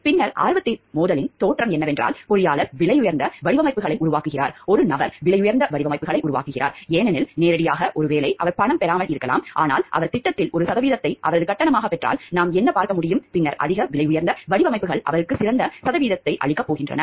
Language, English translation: Tamil, Then appearance of a conflict of interest is where like somewhere and engineering creating expensive designs a person who is creating expensive designs; because directly maybe he is not getting money, but what if what we can see like if he gets a percentage of the project as his fees, then the more expensive designs is going to give him better percentages